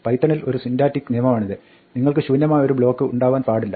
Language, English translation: Malayalam, This is a syntactic rule of Python you cannot have an empty block